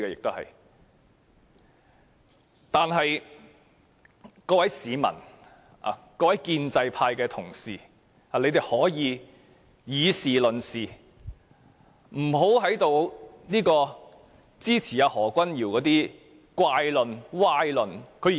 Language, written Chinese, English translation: Cantonese, 我想請各位市民和建制派議員以事論事，不要支持何君堯議員的怪論、歪論。, I wish to ask members of the public and Members of the pro - establishment camp to base our discussions on facts and not to support the crooked arguments and sophistry of Dr Junius HO